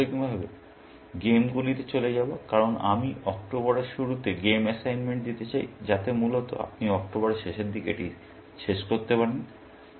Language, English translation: Bengali, We will move to games primarily, because I want to give the games assignment in early October, so that, you can finish it by the end of October, essentially